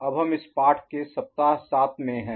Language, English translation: Hindi, We are now in week 7 of this particular course